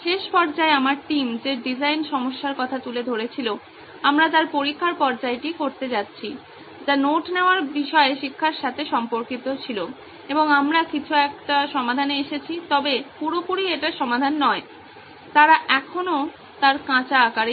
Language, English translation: Bengali, We are going to do the testing phase of the design problem that my team took up in the last phase, which was related to education about note taking and we arrived at a solution some, not solution in its entirety, they still in its raw form